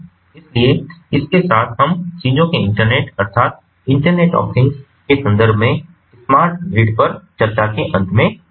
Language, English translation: Hindi, so with this, we come to an end of discussions on smart grid, in the case, in the context of internet of things